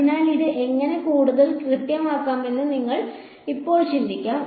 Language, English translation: Malayalam, So now, you can think how can we make this more accurate ok